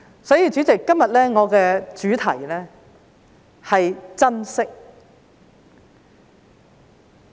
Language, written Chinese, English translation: Cantonese, 所以，主席，今天我的主題是"珍惜"。, Therefore President my theme today is cherishment